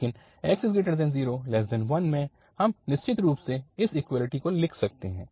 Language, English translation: Hindi, So that is, but in 0 to 1 we can certainly write this equality